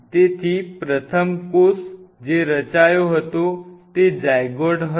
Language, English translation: Gujarati, so the first cell which was formed was a zygote, right